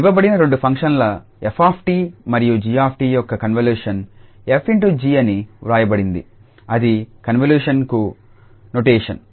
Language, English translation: Telugu, So, the convolution of two given functions f t and the g t is written as f star g that is the notation for the convolution